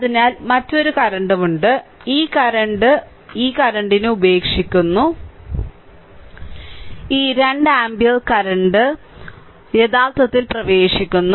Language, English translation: Malayalam, So, another current is also there this current is leaving this current is i 3 and this 2 ampere current entering actually